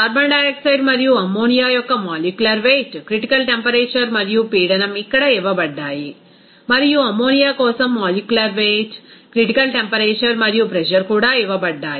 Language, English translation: Telugu, The molecular weight, critical temperature and pressure for that carbon dioxide and ammonia are given here and also the molecular weight, critical temperature and pressure for the ammonia also given